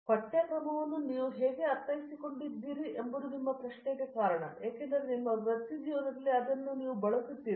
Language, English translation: Kannada, How you have comprehended this syllabus is the question because that is what you are going to make use of in your career